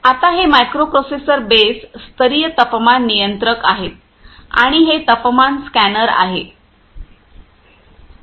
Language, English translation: Marathi, Now this is this is this is the temperature microprocessor base level temperature controllers, and these and this is a temperature scanner